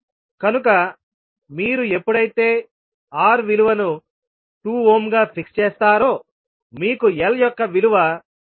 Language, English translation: Telugu, Now when you have R is equal to 1 ohm then C will be 0